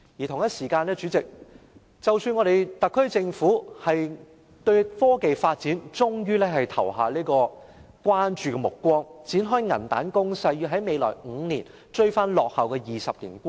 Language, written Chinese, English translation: Cantonese, 同時，代理主席，特區政府對科技發展終於投以關注目光，展開銀彈攻勢，要在未來5年追回落後的20年。, At the same time Deputy Chairman the SAR Government has finally given due regard to technology development and started a money - based strategy to catch up in the next five years grounds lost in the past 20 - years